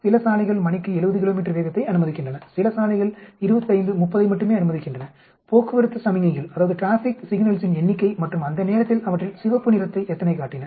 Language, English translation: Tamil, Some roads allow 70 kilometers per hour, some roads allow only 25, 30 number of traffic signals and then how many of them red at that point